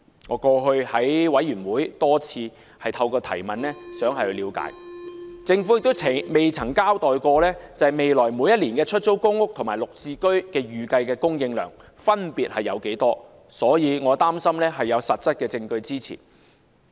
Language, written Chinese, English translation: Cantonese, 我過去在委員會多次希望透過提問，政府亦不曾交代未來每一年的出租公屋和綠置居的預計供應量分別為何，所以我的擔心是有實質證據支持的。, I have repeatedly raised this question at Panel meetings in the past without getting a response from the Government about the estimated annual supply of PRH and units under the Green Form Subsidized Home Ownership Scheme . Hence my worries are not unfounded . Chief Executive Carrie LAM suggested in 2017 that the Government would cap the number of PRH supply at 800 000